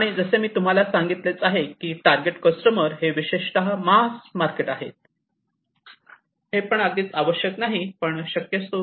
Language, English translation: Marathi, And as I was telling you that the target customers are basically the mass markets, but not necessarily so